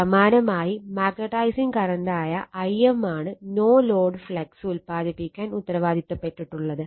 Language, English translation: Malayalam, Similarly magnetize in current I m responsible forproducing no load flux, right